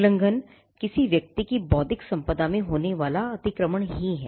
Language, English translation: Hindi, Infringement is nothing but trespass into the intellectual property owned by a person